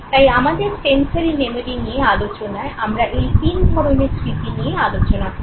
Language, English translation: Bengali, Therefore, we will, for our understanding of sensory memory, will focus on only three types of memories